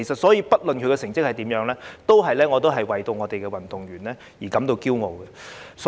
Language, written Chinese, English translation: Cantonese, 因此，不論他們的成績如何，我都會為香港運動員感到驕傲。, For this reason I feel proud of Hong Kongs athletes regardless of their results